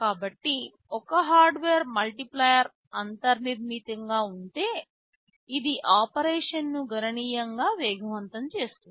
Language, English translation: Telugu, So, if there is a hardware multiplier built in, it speeds up operation quite significantly